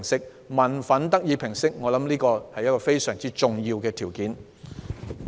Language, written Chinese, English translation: Cantonese, 我相信民憤得以平息是非常重要的。, I trust that it is utterly important to allay public resentment